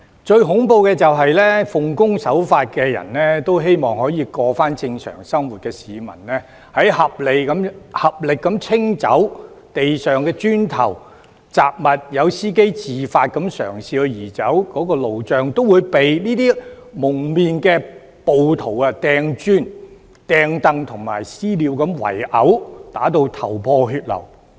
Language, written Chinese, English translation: Cantonese, 最恐怖的是，奉公守法、希望重回正常生活的市民，在合力清走地上的磚頭和雜物時，以及司機嘗試自發移走路障時，仍遭蒙面暴徒投擲磚頭、椅子和"私了"圍毆，打至頭破血流。, The most horrifying thing is that law - abiding citizens who wanted their normal lives back and tried to clear bricks and objects on the roads or drivers who voluntarily removed barricades were assaulted by gangs of masked rioters who took the law into their own hands . These people were subjected to vigilante attacks beaten with bricks and chairs and were seriously injured